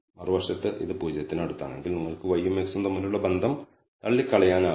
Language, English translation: Malayalam, On the other hand if it is close to 0 you cannot dismiss a relationship between y and x